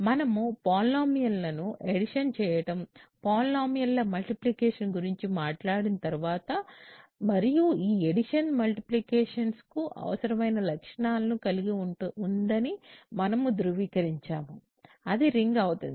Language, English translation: Telugu, Once we talk about adding polynomials, multiplying polynomials and we verify that these addition multiplication have the required properties, it becomes a ring so, then we will call it a polynomial ring